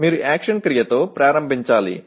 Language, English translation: Telugu, You just have to start with an action verb